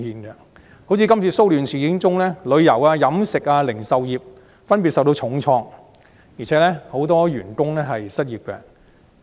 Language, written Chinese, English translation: Cantonese, 以今次騷亂事件為例，旅遊業、飲食業和零售業分別遭受重創，很多員工亦失業。, Take the current disturbances as an example . The tourism catering and retail industries have respectively been hard hit throwing a large number of workers out of job